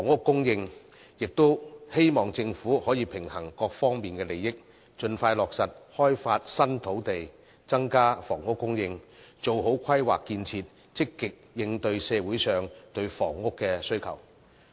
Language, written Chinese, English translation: Cantonese, 我亦希望政府可以平衡各方利益，盡快落實開發新土地，增加房屋供應，做好規劃建設，積極應對社會上對房屋的需求。, I also hope that the Government can balance the interests of various sides expeditiously open up new land increase housing supply and do a good job in terms of planning and construction so as to actively respond to housing needs in society